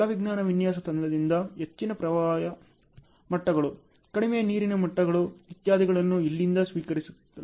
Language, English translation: Kannada, From the hydrology design team, high flood levels, low water levels and so on are received from here ok